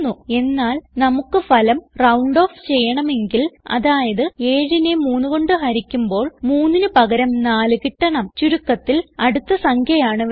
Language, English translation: Malayalam, Which means, when 7 is divided by 2, we get 4 and not 3 In simple terms, we need the next number